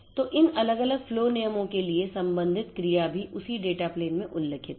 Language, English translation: Hindi, So, then corresponding actions for these different different flow rules are also mentioned in that data plane